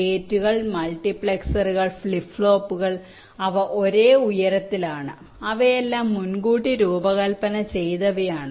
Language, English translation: Malayalam, the gates, the multiplexers, the flip plops, they are of same heights and they are all pre designed